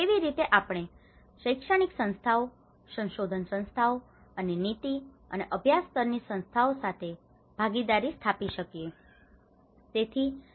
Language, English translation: Gujarati, How we can build partnerships with an academic institutions, research institutions, and the practice and policy level institutions